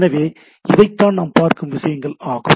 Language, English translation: Tamil, So, these are the things we look at